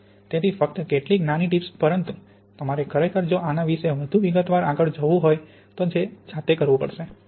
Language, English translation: Gujarati, So just some small tips but of course, you have to really look at this in more detail if you want to do it yourself